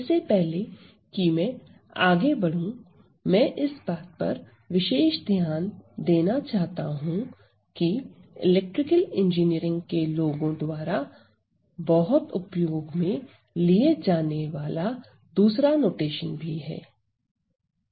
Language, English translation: Hindi, Now, before I move ahead, I just want to highlight there is another notation which is widely used by people in electrical engineering, so what is used